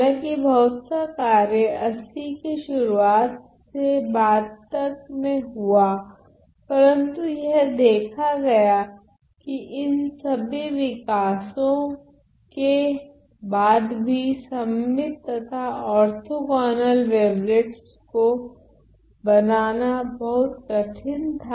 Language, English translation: Hindi, Well it was seen although lot of work was done in the early 80s to late 80s, but it was seen that despite all these development it was seen that it is very difficult to construct symmetric and orthogonal wavelets